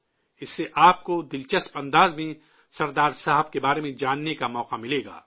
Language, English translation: Urdu, By this you will get a chance to know of Sardar Saheb in an interesting way